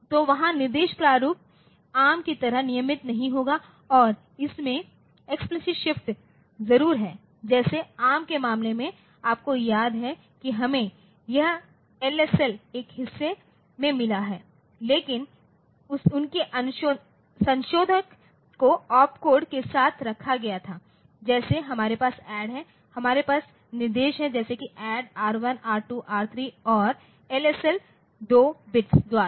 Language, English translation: Hindi, So, there instruction format will be not that regular like ARM and it has explicit shift of course, like that in case of ARM you remember that we have got this the LSL in a part, but their modifier was put along with the opcode like say we have got say ADD we had instructions like say add R1, R2, R3 and then we said the LSL by 2 bits